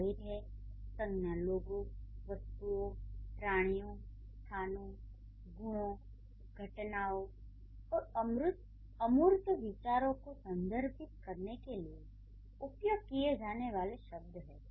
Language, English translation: Hindi, Nouns are the words used to refer to people, objects, creatures, places, qualities, phenomena and abstract ideas